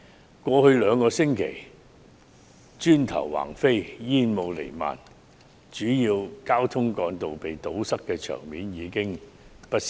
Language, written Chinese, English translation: Cantonese, 在過去兩星期，街上磚頭橫飛、煙霧彌漫、主要交通幹道遭堵塞的場面已屢見不鮮。, Over the past two weeks we have seen bricks being thrown smoke - permeated air and barricaded main roads